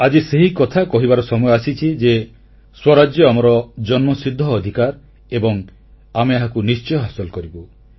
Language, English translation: Odia, " Today is the time to say that Good Governance is our birth right and we will have it